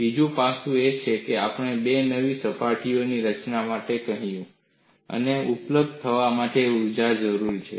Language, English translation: Gujarati, Another aspect is, we have sent for the formation of two new surfaces; I need energy to be available